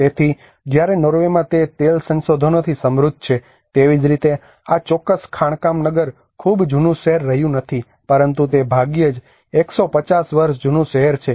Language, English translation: Gujarati, So whereas in Norway it is rich in oil resources so similarly this particular mining town has been not a very old town, but it is hardly 150year old town